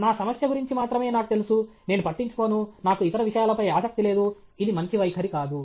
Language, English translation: Telugu, I know everything only about my problem; I don’t care, I don’t have interest in other things; this is not a good attitude